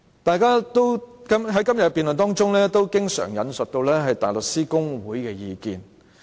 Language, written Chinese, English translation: Cantonese, 大家在今天的辯論中也經常引述香港大律師公會的意見。, In this debate today Members have often cited the opinions of the Hong Kong Bar Association HKBA